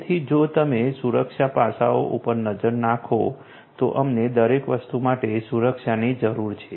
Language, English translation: Gujarati, So, if you look at the security aspects we need security for everything